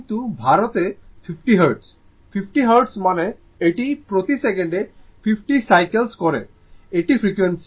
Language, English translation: Bengali, But India is 50 Hertz, 50 Hertz means it is 50 cycles per second this is the frequency right